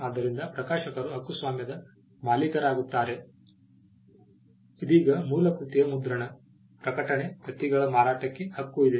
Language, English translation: Kannada, So, the publisher becomes the copyright owner now the right pertains to printing, publishing, selling of copies of the original work